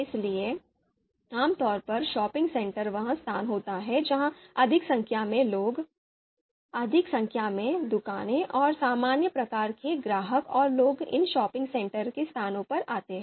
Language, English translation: Hindi, So typically shopping center is the place where you know there are more number of people, you know more number of shops are there, and a generic kind of you know you know customers and people would be coming to these shopping center locations